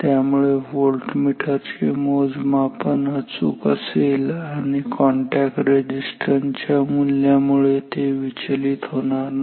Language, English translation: Marathi, So, therefore, the voltage measurement is perfect and it is no way disturbed by the value of this contact resistances